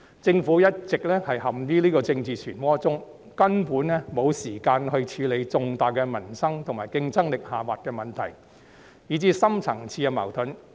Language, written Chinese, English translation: Cantonese, 政府一直陷於這個政治漩渦中，根本沒有時間處理重大民生及競爭力下滑的問題，以至深層次矛盾。, The Government has been dragged into this political whirlpool all along and cannot afford the time to address major livelihood issues declining competitiveness or even deep - rooted conflicts